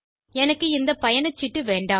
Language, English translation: Tamil, I dont want this ticket